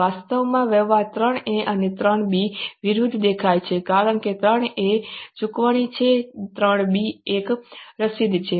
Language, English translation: Gujarati, Actually, transaction 3A and 3B appears to be opposite because 3A is a payment, 3B is a receipt